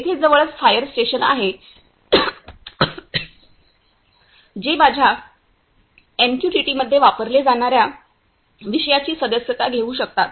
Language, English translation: Marathi, Here is a nearest fire station which can subscribe the topics through which are used in a my MQTT